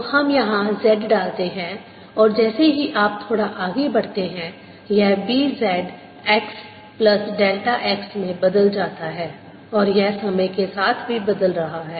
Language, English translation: Hindi, so let's put z here and as you go little farther out, it changes to b, z, x plus delta x, and it also is changing with time